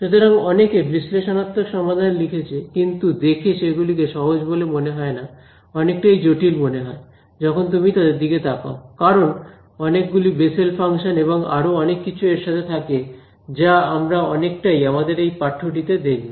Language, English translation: Bengali, So, people have written analytical solutions, not that they are easy seems very complicated when you look at them lots of Bessel functions and this and that and we will see a lot of writing this course ah